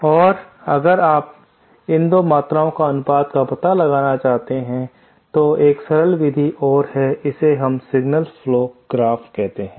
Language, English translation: Hindi, And if you want to find out the ratio of these 2 quantities, then there is a simpler method and that is called the signal flow graph method